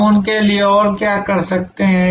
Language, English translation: Hindi, What more can we do for them